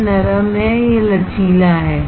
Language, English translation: Hindi, This is soft, this is flexible